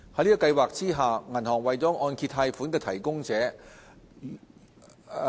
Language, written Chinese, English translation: Cantonese, 在計劃下，銀行為按揭貸款提供者。, Under MIP banks are the mortgage loan providers